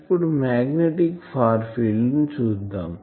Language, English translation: Telugu, Let us see the magnetic far field if I have written